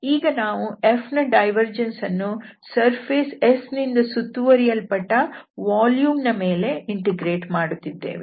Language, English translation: Kannada, So divergence of F, but now we are integrating over the volume, over the whole region enclosed by the surface S